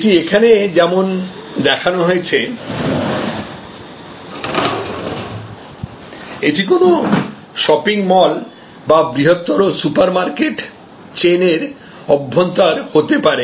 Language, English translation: Bengali, And just as it shows here, this could be the interior also of a shopping mall or a large supermarket chain and so on